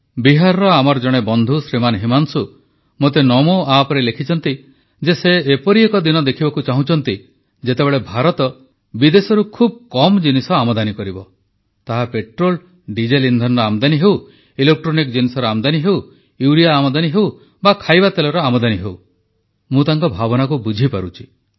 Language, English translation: Odia, One of our friends from Bihar, Shriman Himanshu has written to me on the Namo App that he dreams of the day when India reduces imoports to the bare minimum…be it the import of Petrol, Diesel, fuels, electronic items, urea or even edible oils